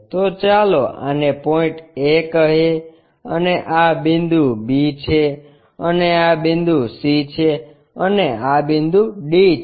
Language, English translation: Gujarati, So, let us call this is point A and this is point B and this is point C and this is point D